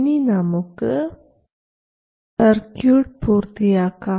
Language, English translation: Malayalam, This is the complete circuit